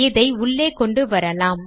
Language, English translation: Tamil, Let us bring it inside